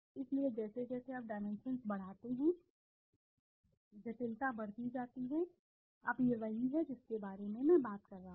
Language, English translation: Hindi, So as you increase the dimensions the complexity increases, now this is what I was talking about